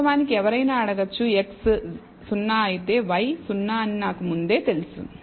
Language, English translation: Telugu, Of course, one could also ask suppose I know that if x is 0 y is 0 I know that a priori